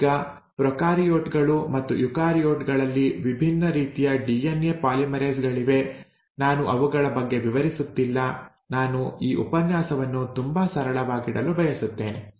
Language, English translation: Kannada, Now there are different types of DNA polymerases both in prokaryotes and eukaryotes, I am not getting into details of those, I want to keep this class very simple